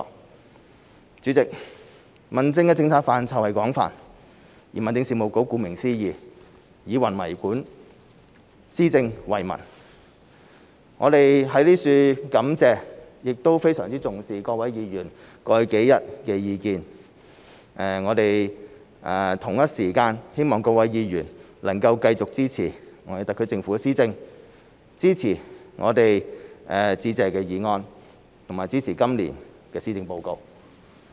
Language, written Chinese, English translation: Cantonese, 代理主席，民政的政策範疇廣泛，民政事務局顧名思義，以民為本，施政為民，我們在此感謝亦非常重視各位議員過去數天的意見，我們同一時間希望各位議員能繼續支持特區政府的施政，支持致謝議案，以及支持今年的施政報告。, As its name implies the Home Affairs Bureau aims to serve and benefit the people through policy implementation . At this juncture we would like to thank Members for raising their views over the past days to which we attach a great deal of importance . At the same time we hope that Members will continue to support the implementation of policies by the SAR Government support the Motion of Thanks and support the Policy Address this year